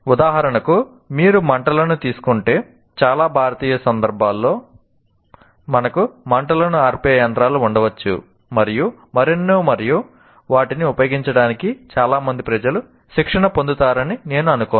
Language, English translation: Telugu, For example, if you take the fire, in many of the Indian contexts, while we may have fire extinguishers and so on, and I don't think many of the people do get trained with respect to that